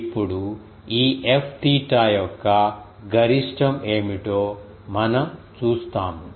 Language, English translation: Telugu, Now, we will see that what is the maximum of this F theta